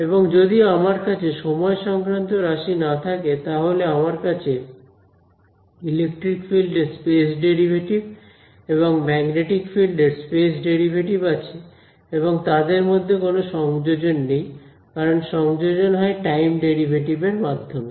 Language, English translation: Bengali, And if I do not have the time terms, then I have the space derivative of electric field, space derivative of magnetic field and there is no coupling between them; because the coupling was happening via time derivative